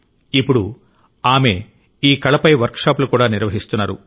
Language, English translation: Telugu, And now, she even conducts workshops on this art form